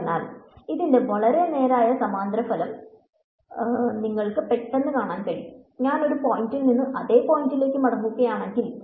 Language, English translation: Malayalam, So, you can see immediately a very straightforward corollary of this is that if I am going from one point back to the same point right